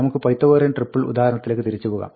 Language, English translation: Malayalam, Let us go back to the Pythagorean triple example